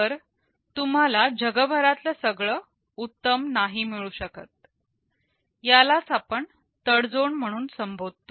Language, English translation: Marathi, So, you cannot have best of all worlds; this is something we refer to as tradeoff